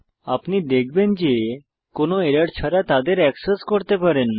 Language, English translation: Bengali, You will find that you can access them without any error